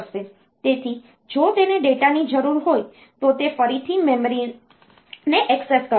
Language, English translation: Gujarati, So, if it needs data it will again access the memory